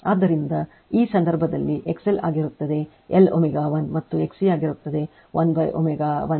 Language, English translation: Kannada, So, in that case your XL will be l omega 1 and XC will be 1 upon omega 1 C